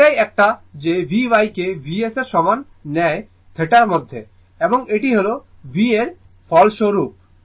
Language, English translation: Bengali, So, it is this one you take v y is equal to v sin theta, and this is the resultant one v